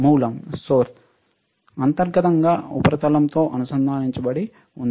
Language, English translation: Telugu, Source is internally connected to the substrate